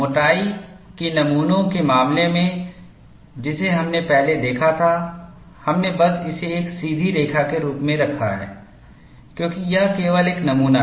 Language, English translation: Hindi, In the case of through the thickness specimens, which we had looked at earlier, we simply put that as a straight line, because it is only a model